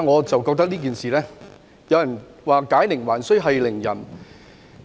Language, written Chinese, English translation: Cantonese, 就此，有人認為"解鈴還須繫鈴人"。, In this connection some hold that it is up to the doer to undo the knot